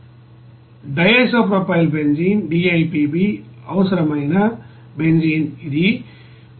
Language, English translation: Telugu, Benzene required for DIPB it is 5